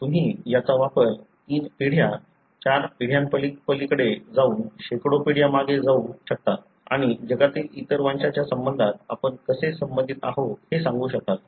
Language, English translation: Marathi, You can use this to even go beyond three generations, four generations, may be hundreds of generations back and you will be able to tell how related we are with, in relation to the other races in the world and so on